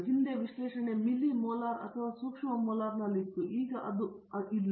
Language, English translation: Kannada, Previously analysis is on the milli molar or micro molar now it is not